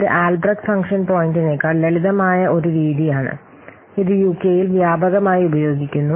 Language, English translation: Malayalam, This is a simple, it is a simple method than this albased function point and it is widely used in UK